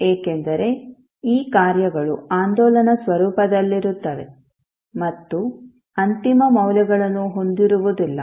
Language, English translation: Kannada, Because these functions are oscillatory in nature and does not have the final values